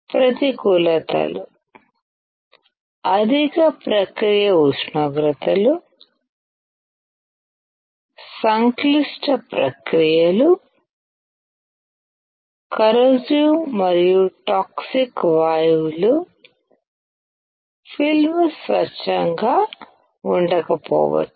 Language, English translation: Telugu, The disadvantages are: high process temperatures; complex processes; corrosive and toxic gases; film may not be pure